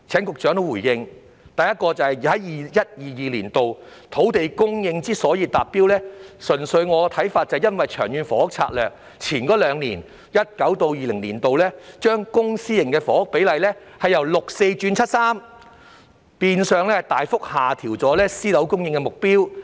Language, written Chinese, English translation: Cantonese, 第一點是 ，2021-2022 年度的土地供應能夠達標，純粹由於《長策》在前兩年，即是在 2019-2020 年度起，把公私營房屋供應比例，由六四比改為七三比，變相大幅下調了私樓供應的目標。, The first point is that the land supply target of 2021 - 2022 can be met simply because the Government adjusted the public - private housing ratio from 6col4 to 7col3 in LTHS two years ago that is from 2019 - 2020 onwards which has in effect substantially lowered the private housing supply target